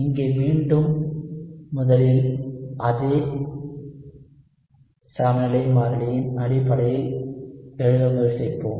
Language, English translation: Tamil, So, here again, let us first try to write it in terms of the equilibrium constant